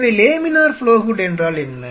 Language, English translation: Tamil, So, what is laminar flow hood